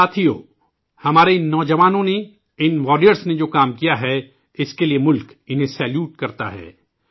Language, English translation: Urdu, Friends, the nation salutes these soldiers of ours, these warriors of ours for the work that they have done